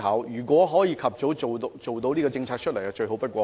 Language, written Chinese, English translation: Cantonese, 如能及早推出這項政策，則最好不過。, It would be best that such a policy can be rolled out as early as possible